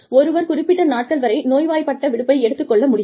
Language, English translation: Tamil, A certain number of days, that one can collect as sick leave